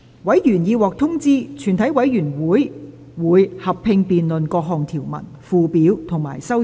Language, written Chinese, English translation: Cantonese, 委員已獲通知，全體委員會會合併辯論各項條文、附表及修正案。, Members have been informed that the committee will conduct a joint debate on the clauses schedules and amendments